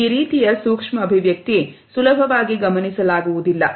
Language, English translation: Kannada, This type of micro expression is not easily observable